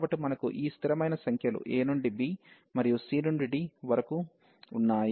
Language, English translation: Telugu, So, we have these constant numbers a to b, and there also c to d